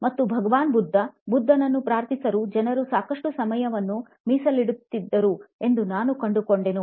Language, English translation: Kannada, And I found out that the people had devoted a lot of time into praying Buddha, Lord Buddha